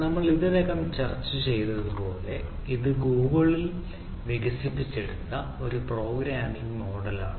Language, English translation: Malayalam, ok, so, as we discussed already, so its a programming model developed at google